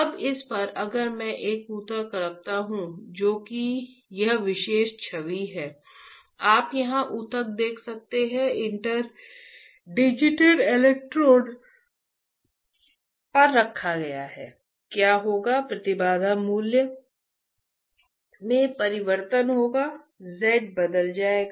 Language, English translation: Hindi, Now, on this if I place a tissue, place a tissue which is this particular image right, you can see the tissue here right, placed on the interdigitated electrodes, what will happen there will be change in the impedance value the z would change, right